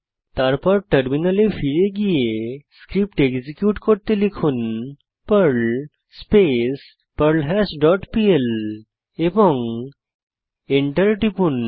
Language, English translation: Bengali, Then switch to terminal and execute the Perl script as perl perlHash dot pl and press Enter